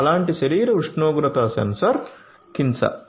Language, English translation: Telugu, One such body temperature sensor is by Kinsa